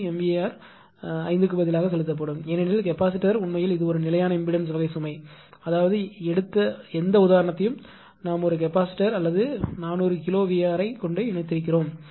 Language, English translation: Tamil, 3 mega bar will be injected instead of 5 because capacitor actually it is a constant impedance type of load; that means, whatever example you have taken we have collected a capacitor or 400 kilohertz